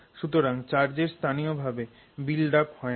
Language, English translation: Bengali, So, the charge buildup does not happen locally